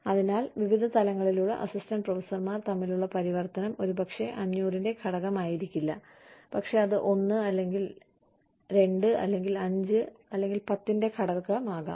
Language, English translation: Malayalam, So, the transition between, say, you know, assistant professors at various levels, should not be, you know, factor of, maybe 500, could be a factor of 1, or 2, or 5, or 10